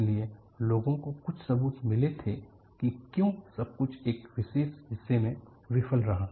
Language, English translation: Hindi, So, people had found some evidence why the whole thing failed in a particular portion